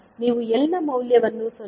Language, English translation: Kannada, You can simply get the value of L as 0